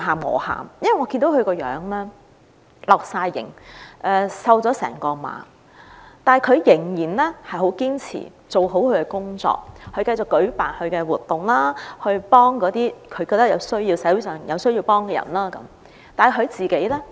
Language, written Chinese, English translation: Cantonese, 我看到她面容憔悴，瘦了一整圈，但仍然十分堅持做好自己的工作，繼續舉辦活動，幫助社會上需要幫助的人，但她自己呢？, She looked haggard and had lost much weight but still persisted to do her job well and continued to organize activities to help those in need in society